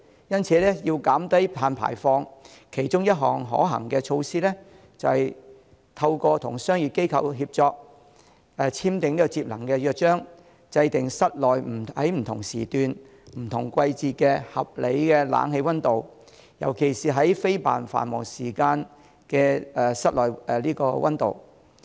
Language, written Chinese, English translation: Cantonese, 因此，要減低碳排放，其中一項可行的措施，就是透過與商業機構協作，簽訂節能約章，制訂室內不同時段、不同季節的合理冷氣溫度，尤其是非繁忙時間的室內溫度。, For this reason a feasible measure to reduce carbon emission is to cooperate with commercial organizations by signing an energy - saving charter setting the reasonable indoor air - conditioning temperature at different time slots during the day and in different seasons particularly the indoor temperature during non - peak hours